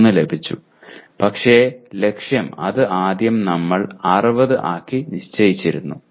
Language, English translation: Malayalam, 3 but the target we initially set it up for 60